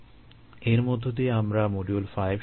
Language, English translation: Bengali, ok, with this, we finish the five modules